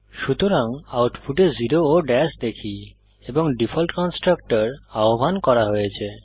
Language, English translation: Bengali, So in the output we see zero and dash when the default constructor is called